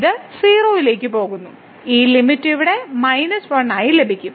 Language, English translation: Malayalam, So, this goes to 0 and we get this limit as here minus 1